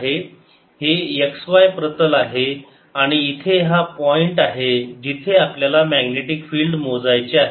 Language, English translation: Marathi, this is the x, y plane and here is the point where we want to find the magnetic field